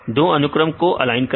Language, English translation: Hindi, Align two sequences right